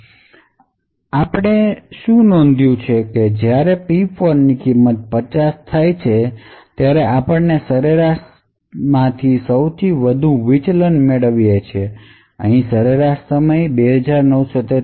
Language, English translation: Gujarati, What we notice is that when the value of P4 becomes 50 we obtain the highest deviation from the mean, so the mean over here is 2943